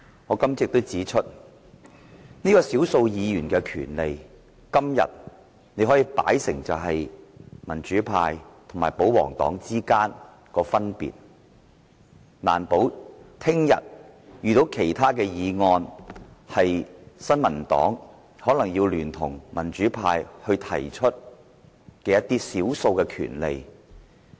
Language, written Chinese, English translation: Cantonese, 我今早亦指出，從少數議員的權利，可以看出民主派和保皇黨之間的分別，但難保他日會遇到其他議案，新民黨可能要聯同民主派提出一些關乎少數權利的議案。, I also pointed out this morning that we can tell the difference between the democratic camp and pro - establishment camp from the rights and interests of minority Members . But it is possible that one day some other motions will prompt the New Peoples Party to join force with the democratic camp to propose motions on the rights and interests of the minority